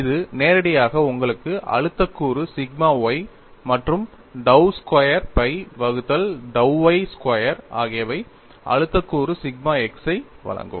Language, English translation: Tamil, This directly gives you the stress component sigma y and dou squared phi by dou y squared will give you stress component sigma x